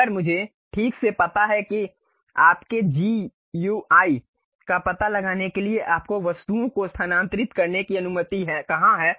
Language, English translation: Hindi, If I precisely know where to really locate your GUI really permits you to move objects